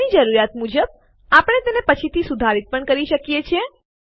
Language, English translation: Gujarati, We can also modify it later as per our requirement